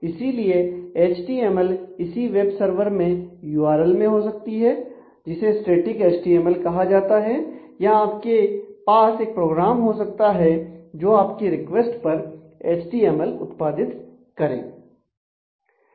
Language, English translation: Hindi, So, HTML could be either at the URL in the web server you can either have a HTML which we say is a static HTML or you could actually have a program which when you send the request it actually